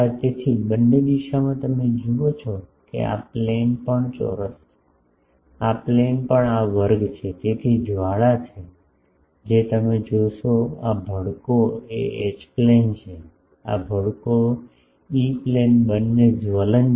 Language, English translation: Gujarati, So, in both direction you see that, this plane also is square this plane also is square this is so, this is the this flaring this bottom one if E sorry this one you will see this flaring is the H plane flaring this flaring is the E Plane flaring both are flare